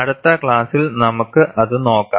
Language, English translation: Malayalam, We would see that in the next class